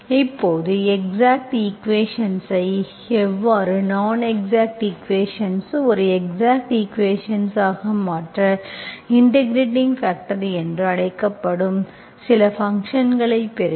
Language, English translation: Tamil, Now you know, you have seen how you convert exact equation into, non exact equation into an exact equation, you multiply some function that is called integrating factor